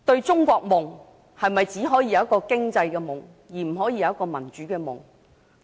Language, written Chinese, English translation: Cantonese, "中國夢"是否只可以是一個經濟夢，而不可以是一個民主夢？, Is it true that the China Dream can only be an economic dream and not a democratic dream?